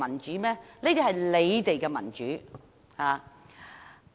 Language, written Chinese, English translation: Cantonese, 這些是你們的民主。, This is merely their democracy